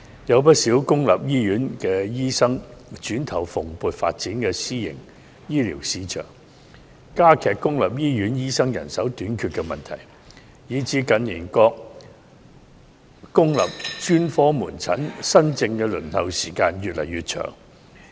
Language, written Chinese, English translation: Cantonese, 有不少公立醫院醫生轉投蓬勃發展的私營醫療市場，加劇公立醫院醫生人手短缺的問題，以致近年各公立專科門診新症的輪候時間越來越長。, Quite a number of doctors in the public hospitals have switched to work in the thriving private healthcare market thereby aggravating the problem of shortage of doctors in the public hospitals